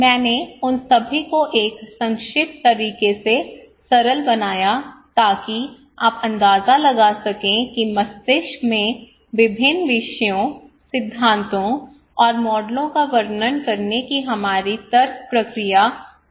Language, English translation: Hindi, I just simplified all of them in a concise manner so that you can get an idea how this our reasoning process in brain various disciplines, various theories and models describe